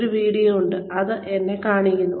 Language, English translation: Malayalam, There is a video, that shows me